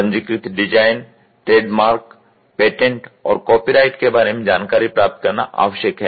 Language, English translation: Hindi, It is essential to obtain information about the registered design, trademarks, patents, and copyrights